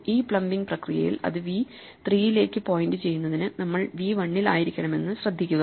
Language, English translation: Malayalam, Now notice that in this plumbing procedure we need to be at v 1 in order to make it point to v3